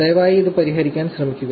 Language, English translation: Malayalam, Please try to work it out